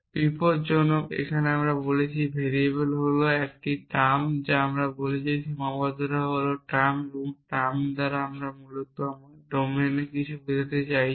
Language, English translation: Bengali, So, x is a term here we are saying x is a term here we are saying a cons here we are saying variable is a term here we are saying constraint is term and by term basically we mean something in my domine essentially